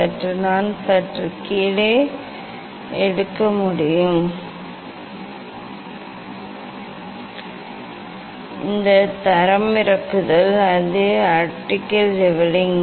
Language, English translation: Tamil, slightly I can take down slightly, I can a takedown this is the optical leveling